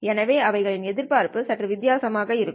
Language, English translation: Tamil, Therefore their expectation would be slightly different